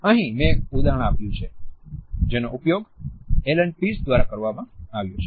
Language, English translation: Gujarati, Here I have quoted an example, which have been used by Allan Pease